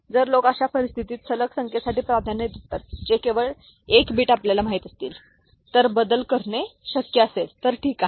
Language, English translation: Marathi, So, if people would prefer in such a scenario for consecutive numbers that only 1 bit you know, if it is possible to make change, ok